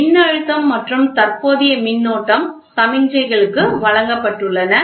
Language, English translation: Tamil, So, voltage and current signals have been given